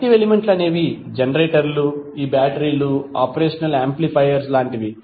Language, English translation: Telugu, Active elements are like generators, batteries, operational amplifiers